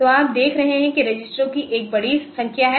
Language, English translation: Hindi, So, that is a large number of registers you see